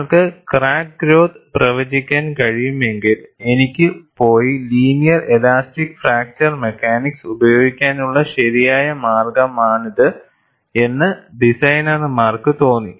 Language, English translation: Malayalam, If you are able to predict the crack growth, then designers felt, this is the right way that I can go and use linear elastic fracture mechanics